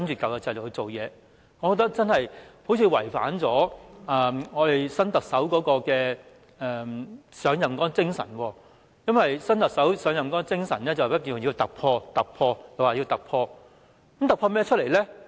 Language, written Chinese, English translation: Cantonese, 我認為這樣真的好像違反新特首上任的精神。因為新特首上任的精神是突破、突破，她說要突破。, I think this is inconsistent with the spirit of the new Chief Executive who has called for breakthroughs when she assumed the top position